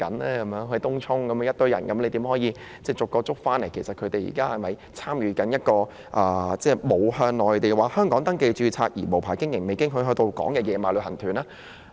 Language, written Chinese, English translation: Cantonese, 例如有一群人在東涌聚集，有關當局應如何分辨他們是否參加了沒有向內地或香港登記註冊而無牌經營或未經許可到港的"野馬"旅行團呢？, For example if there is a crowd of people gathering in Tung Chung how can the authorities distinguish if they have joined the unauthorized tour groups organized by travel agents that are not registered with either the Mainland or Hong Kong or their arrival was unapproved?